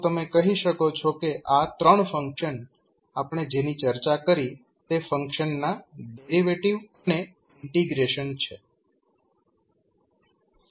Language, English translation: Gujarati, So, you can simply say that these 3 functions are either the derivative or integration of the functions which we discussed